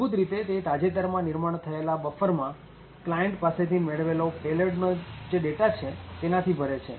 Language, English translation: Gujarati, It essentially, fills the recently created buffer with the payload data that client has sent